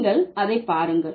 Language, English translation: Tamil, Have a look at it